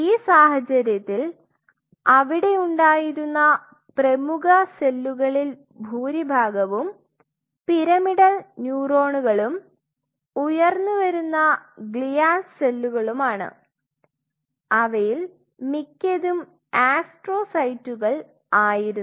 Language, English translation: Malayalam, In that situation most of the prominent cells which were present there where pyramidal neurons and emerging glial cells which are mostly astrocytes